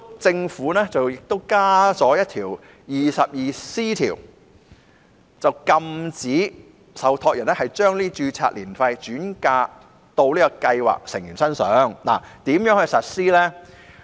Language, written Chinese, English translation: Cantonese, 政府建議新訂第 22C 條，禁止受託人把註冊年費轉嫁予計劃成員，但怎樣執行呢？, Under new section 22C it is proposed that trustees are prohibited from passing on the cost of ARF to scheme members . Yet how can this prohibition be enforced?